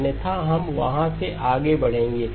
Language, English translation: Hindi, Otherwise, we will move on from there